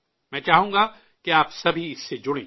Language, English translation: Urdu, I want you all to be associated with this